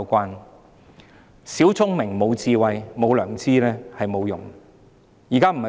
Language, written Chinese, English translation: Cantonese, 有小聰明但無智慧、無良知，這是沒有用的。, It is useless to play petty tricks if one does not have wisdom and conscience